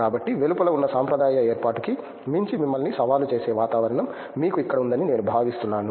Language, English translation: Telugu, So, I think you have an environment here that challenges you beyond the traditional setup that is outside